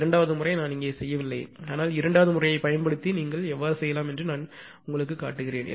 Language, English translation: Tamil, Second method I have not done it here, but I request you you can check also using the second method